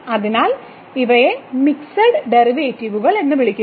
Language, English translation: Malayalam, So, these are called the mixed derivatives